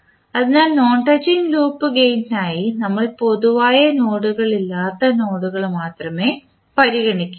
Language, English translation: Malayalam, So non touching loops are the loops that do not have any node in common